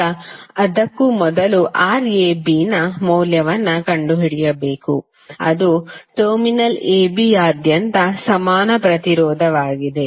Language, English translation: Kannada, Now before that we have to first find out the value of Rab, that is equivalent resistance across terminal AB